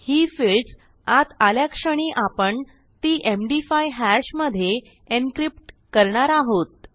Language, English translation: Marathi, So, as soon as these fields are coming in, I will encrypt them into an md 5 hash